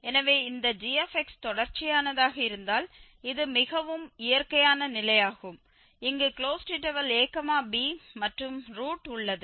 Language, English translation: Tamil, So, if this gx is continuous that is very natural condition we have here in some interval this a to b and that contains the root